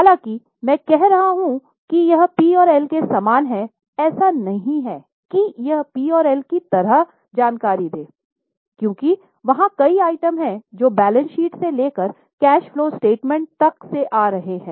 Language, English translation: Hindi, So, mind well, though I am saying it is somewhat similar to P&L, it is not that it is giving same information as in P&L because there are several items which would be coming from balance sheet to cash flow statement